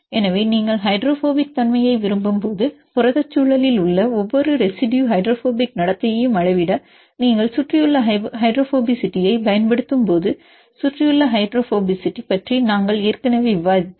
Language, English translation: Tamil, So, when you like hydrophobic character we already discussed about the surrounding hydrophobicity when you use a surrounding hydrophobicity to quantify the hydrophobic behavior of each residue in protein environment